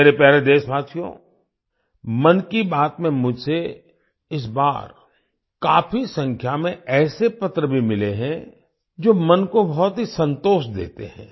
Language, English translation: Hindi, My dear countrymen, I have also received a large number of such letters this time in 'Man Ki Baat' that give a lot of satisfaction to the mind